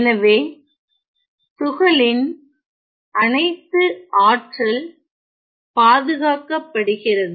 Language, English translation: Tamil, So, the total energy of the particle is conserved